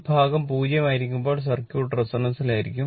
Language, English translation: Malayalam, When this part will be 0, the circuit will be in resonance right